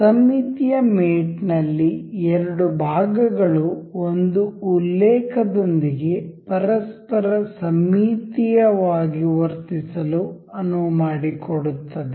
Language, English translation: Kannada, Symmetric mate allows the two elements to behave symmetrically to each other along a reference